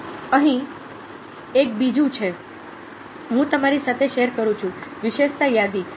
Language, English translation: Gujarati, ok, here is another one i am sharing with you: attribute listing ah